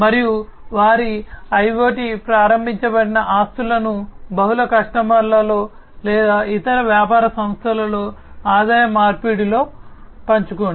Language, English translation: Telugu, And share their IoT enabled assets among multiple customers or with other business entities in exchange of revenue